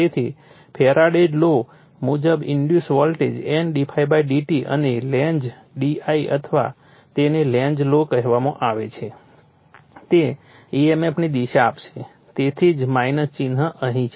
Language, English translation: Gujarati, So, from the Faradays law the voltage induced thing is N d∅/dt and Lenz d I or what you call Lenz’s law will give you the your direction of the emf so, that is why minus sign is here